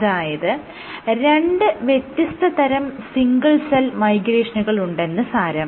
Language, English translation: Malayalam, So, there are two different modes of single cell migration